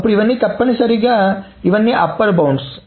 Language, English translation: Telugu, Then all of these are essentially all of these are upper bounds